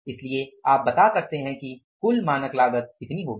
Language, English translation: Hindi, So, you can say total standard cost